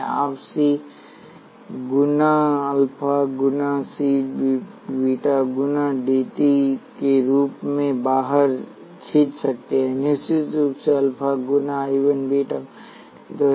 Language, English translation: Hindi, You can pull out as C times alpha times C dV 1 dt plus beta times C dV 2 dt which of course, is alpha times I 1 plus beta times I 2